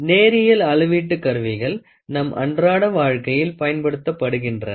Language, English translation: Tamil, The linear measurement tools are used in our day to day life are many